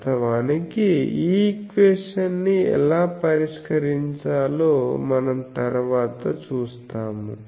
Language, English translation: Telugu, And then we will see how to solve this equation in the next class